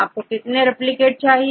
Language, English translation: Hindi, So, how many replicates do you want